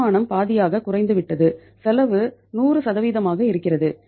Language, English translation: Tamil, Income has gone down to half and your say expenditure is 100%